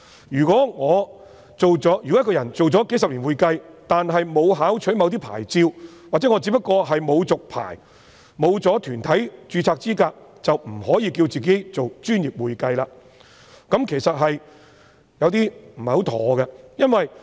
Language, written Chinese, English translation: Cantonese, 如果一個人從事會計工作數十年，但沒有考取某些牌照，或他只不過是沒有續牌，沒有團體註冊資格，便不可以自稱為"專業會計"，這其實有點不妥。, If a person who has been providing bookkeeping services for decades but has not obtained certain professional qualifications or has simply not renewed his registrations or is not qualified to register in any professional body he cannot call himself professional accounting . A problem will then arise